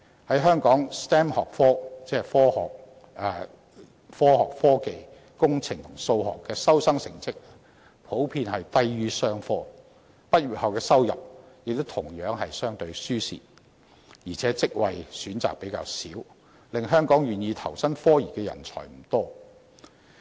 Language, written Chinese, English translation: Cantonese, 在香港 ，STEM 學科的收生成績普遍低於商科 ，STEM 學生畢業後的收入亦同樣相對吃虧，而且職位選擇較少，令香港願意投身科研的人才不多。, In Hong Kong the admission scores of STEM disciplines are generally lower than that of the business school . STEM graduates also face smaller salaries and fewer job choices . Hence few people in Hong Kong choose to engage in scientific research